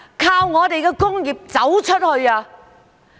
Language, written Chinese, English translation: Cantonese, 靠我們的工業走出去。, We relied on our manufacturing industry to go global